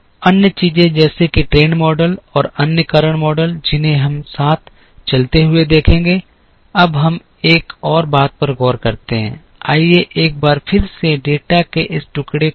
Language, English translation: Hindi, Other things such as trend models, and other causal models we will see as we move along, now let us look at one more thing, let us look at this pieces of data once again